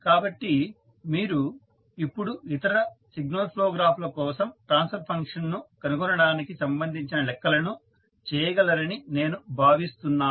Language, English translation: Telugu, So, I hope you can now do the calculations related to finding out the transfer function for other signal flow graphs